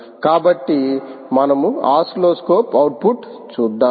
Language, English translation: Telugu, so let's move on to the oscilloscope and see the output